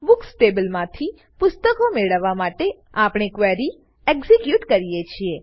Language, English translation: Gujarati, We execute query to fetch books from Books table